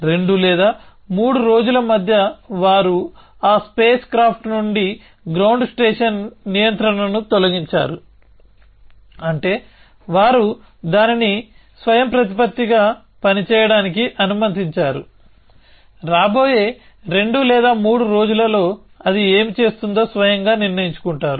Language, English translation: Telugu, In between for 2 or 3 days, they had removed ground station control from that space craft, which means they had let it function autonomously, deciding for itself what it would do in the next 2 or 3 days